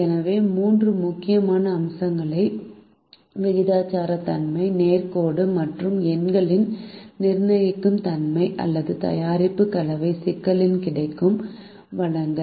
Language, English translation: Tamil, so the three important assumptions are proportionality, linearity and deterministic nature of the numbers or the or the resources that are available for the product mix problem